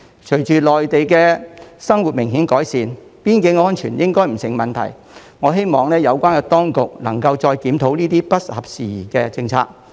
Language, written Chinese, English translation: Cantonese, 隨着內地的生活明顯改善，邊境安全應不成問題，我希望有關當局能再檢討這些不合時宜的政策。, With considerable improvement in the standard of living in the Mainland boundary security should not be a concern . It is my hope that the relevant authorities can review these outdated policies once again